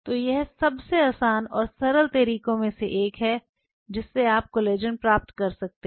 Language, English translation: Hindi, So, this is one of the easiest and simplest way how you can obtain collagen